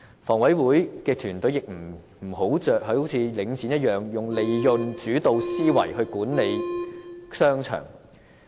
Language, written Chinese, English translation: Cantonese, 房委會的團隊亦不要如領展般以利潤主導思維的方式管理商場。, Neither should HA as what Link REIT did adopt a profit - oriented mindset in managing shopping arcades